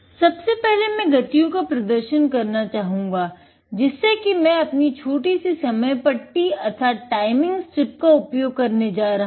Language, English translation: Hindi, First, I would like to give a demonstration of the speeds, so that I am going to use our little timing strip